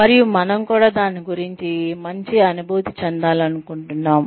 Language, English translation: Telugu, And, we also want to feel, good about it